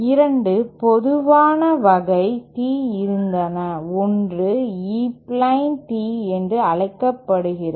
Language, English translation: Tamil, There were 2 common types of Tees, one is what is called as E plane Tee